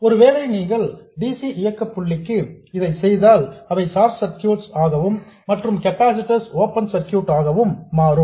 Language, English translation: Tamil, If you do for DC operating point they will become short circuits and capacitors will become open circuits